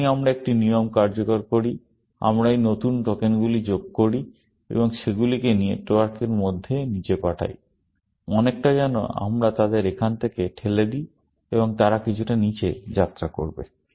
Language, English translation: Bengali, Whenever, we execute a rule, we add these new tokens, and put them down the network; sort of, we push them from here, and they will travel some down